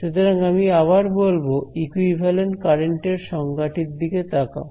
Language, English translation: Bengali, So, once again I want to say look at the definition of the equivalent current that I have